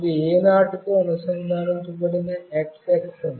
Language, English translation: Telugu, This is x axis that is connected to A0